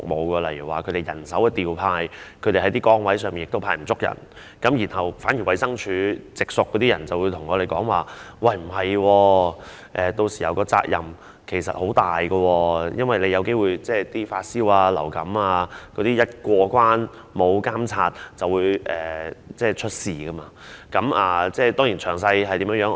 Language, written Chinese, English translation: Cantonese, 舉例而言，由於人手調配，某些崗位可能沒有足夠人手，因此，衞生署的直屬員工告訴我他們的責任其實很重，因為一些發燒或患有流感的人有機會因為缺乏監察而過關，屆時便會出事。, For example owing to manpower deployment there may not be enough staff at certain posts . Hence the direct employees of HD have told me that they actually bear a heavy responsibility because people having a fever or a flu may pass the checkpoints owing to a lack of monitoring efforts which may lead to trouble